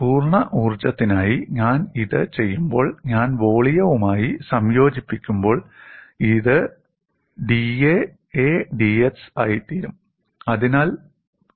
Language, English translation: Malayalam, When I do it for the complete energy, this d A becomes when I integrate over the volume, you will have d A becomes A into d x